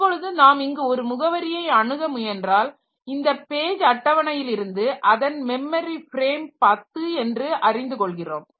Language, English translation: Tamil, Now if you are trying to access a location here then we know that from the page table that the corresponding memory frame is 10